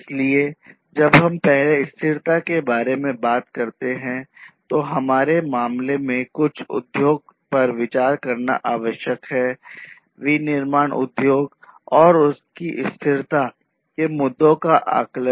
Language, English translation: Hindi, So, when we talk about sustainability first what is required is to consider some industry in our case, the manufacturing industry and assess the sustainability issues